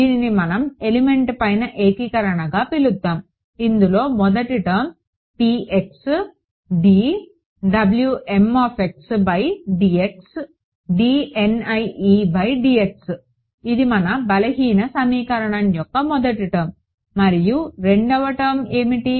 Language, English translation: Telugu, So, we’ll call it integration over an element then I have a first term is p x d W m x by d x, d N i e by d x this is the first term of the weak form right second term was what